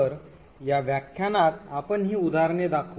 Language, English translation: Marathi, So we will demonstrate these examples in this lecture